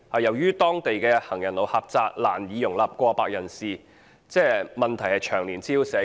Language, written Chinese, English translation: Cantonese, 由於當地行人路狹窄，難以容納過百人士逗留，問題長年滋擾社區。, As the narrow local pedestrian passages can hardly accommodate hundreds of people the problem has caused nuisances to the local community over the years